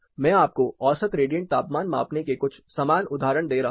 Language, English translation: Hindi, I am giving you similar examples of few mean radiant temperature measurements